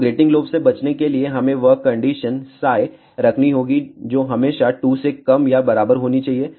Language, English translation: Hindi, So, to avoid grating lobes, we have to put the condition that psi should be always less than or equal to 2 pi